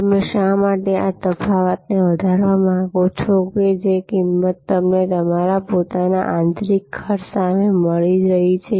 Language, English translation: Gujarati, Now, why you would like to therefore enhance this difference that the price that you are getting versus your own internal costs